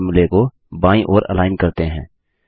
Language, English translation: Hindi, Let us first align all the formulae to the left